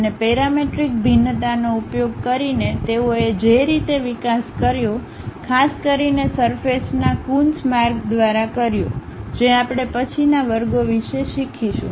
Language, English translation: Gujarati, And, the way they developed further using parametric variations, especially by Coons way of surfaces which we will learn about later classes